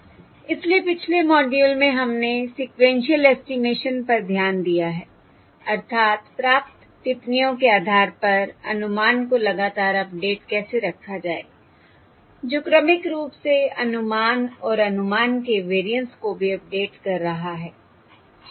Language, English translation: Hindi, So in the previous module we have looked at sequential estimation, that is, how to keep continuously updating the estimate based on the received observations, that is, sequentially updating the estimate and also the variance of the estimate, alright